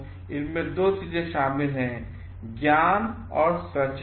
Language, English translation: Hindi, So, it involves two things; knowledge and voluntariness